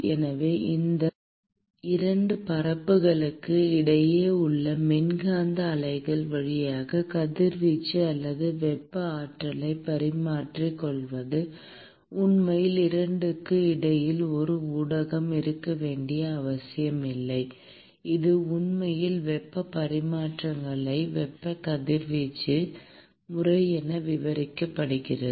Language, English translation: Tamil, So, the exchange of radiation or thermal energy via the electromagnetic waves between these 2 surfaces, which does not really require a medium to be present in between the 2 is what is actually described as a thermal radiation mode of heat transfer